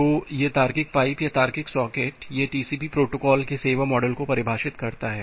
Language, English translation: Hindi, So this logical pipe or logical socket that defines the service model of a TCP protocol